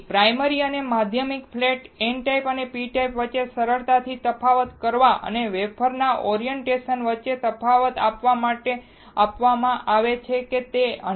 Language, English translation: Gujarati, So, the primary and secondary flats are given to easily distinguish between n type and p type and to distinguish between the orientation of the wafers whether it is 100 or whether it is 111